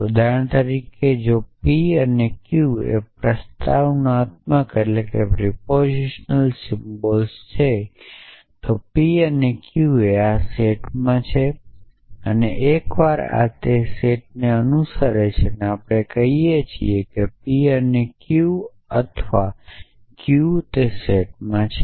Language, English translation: Gujarati, So, for example, a if p and q are to propositional symbols then p and q belongs to this set and once this belongs to the set we can also say p and q or q belongs to the set